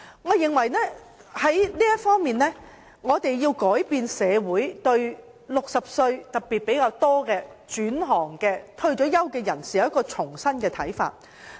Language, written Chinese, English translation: Cantonese, 我認為在這方面，我們要令社會對年屆60歲特別是轉行或退休的人士有一種新的看法。, I consider that in this regard we have to offer the community fresh insights into people in their 60s particularly those career switchers or retirees